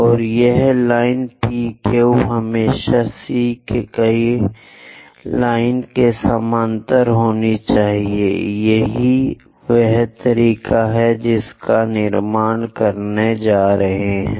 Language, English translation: Hindi, And this line P Q always be parallel to C K line, this is the way one has to construct it